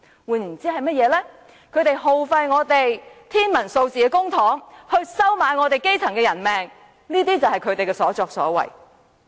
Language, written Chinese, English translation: Cantonese, 換言之，他們耗費天文數字的公帑，收買基層的人命——這些就是他們的所作所為。, In other words they expend an astronomical amount of public money at the expense of the life of the grass roots . That is what they have been doing